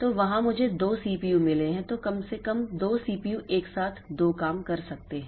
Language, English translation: Hindi, Then at least the two CPUs can do two jobs simultaneously